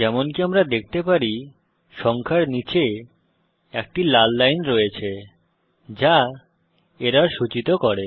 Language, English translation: Bengali, As we can see, there is a red line below the number which indicates an error